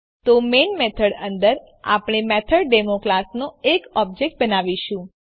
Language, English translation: Gujarati, So inside the Main method, we will create an object of the classMethodDemo